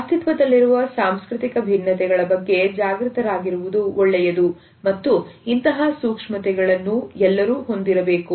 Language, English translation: Kannada, While it is good to be aware of the cultural differences which exist and one should be sensitive to them